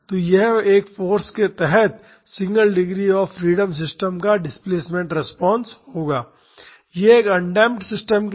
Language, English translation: Hindi, So, this will be the displacement response of a single degree of freedom system under this force of a, this is for a undamped system